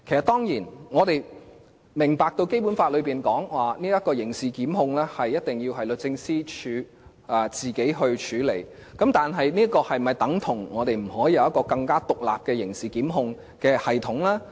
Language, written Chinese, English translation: Cantonese, 當然，我們明白《基本法》訂明，刑事檢控工作一定要交由律政司自行處理，但這是否等於我們不能設立一個更為獨立的刑事檢控系統呢？, Of course we understand that the Basic Law stipulates that the work in criminal prosecutions must be handed over to the Department of Justice for it to handle but does it mean we cannot establish a criminal prosecutions system that is more independent?